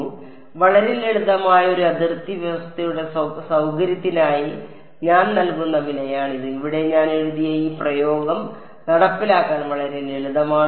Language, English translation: Malayalam, So, this is the price that I am paying for the convenience of a very simple boundary condition this expression that I have written on the over here is a very simple to implement